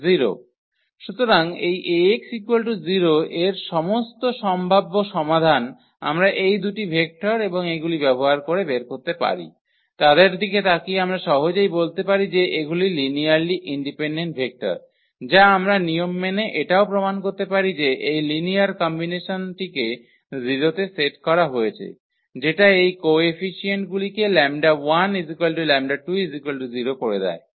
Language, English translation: Bengali, So, all possible solution of this a x is equal to 0 we can generate using these two vectors and these two vectors looking at them we can easily identify that these are the linearly independent vectors which we can formally also prove we know with the help of this linear combination set to 0 and that will imply that those coefficients lambda 1 lambda 2 is equal to 0